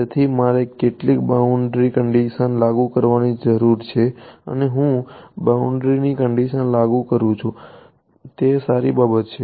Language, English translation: Gujarati, So, I need to impose some boundary conditions and I impose this boundary conditions is that a good thing